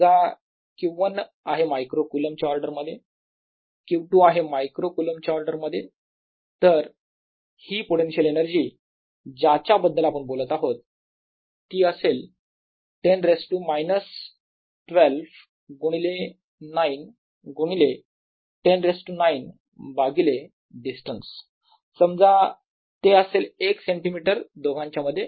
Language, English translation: Marathi, q two is of the order of micro colomb, then this potential energy we are talking (refer time 0four:00) about, let me, will be of the order of ten days, two minus twelve times nine times ten raise to nine, divided by the distance is, say, one centimeter between them